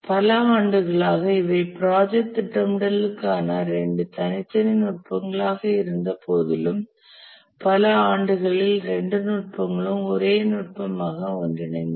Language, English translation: Tamil, Over the years, even though these were two very separate techniques for project scheduling, but over the years both the techniques have merged into a single technique